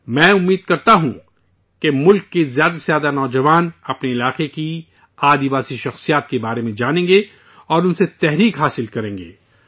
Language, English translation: Urdu, I hope that more and more youth of the country will know about the tribal personalities of their region and derive inspiration from them